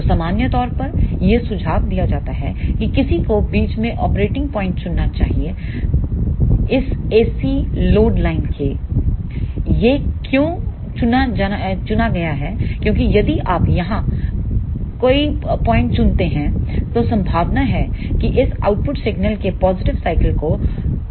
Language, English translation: Hindi, So, in general it is suggested that one should choose the operating point in the middle of this AC load line why this is chosen, because if you choose point somewhere here then there are chances that the positive cycle of this output single may get clipped